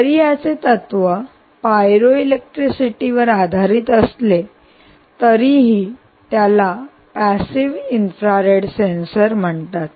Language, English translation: Marathi, although the principle is based on pyroelectricity, pyroelectricity, its called ah passive infrared sensor